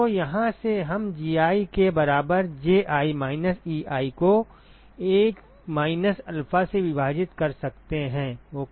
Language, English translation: Hindi, So, from here we can find out Gi equal to Ji minus Ei divided by 1 minus alpha ok